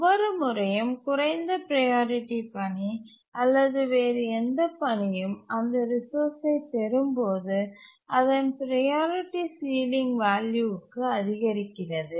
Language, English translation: Tamil, And each time a task, a lower priority task or any other task acquires the resource, its priority increases to the ceiling value, that's the inheritance scheme here